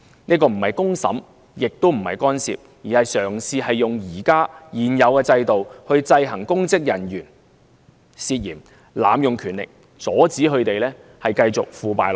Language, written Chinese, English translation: Cantonese, 這個不是公審，也不是干涉，而是嘗試利用現有制度制衡公職人員，阻止他們濫用權力、繼續腐敗下去。, This is neither a trial by the mob nor interference but an attempt to use the existing system to counterbalance public officers for inhibiting power abuse and corruption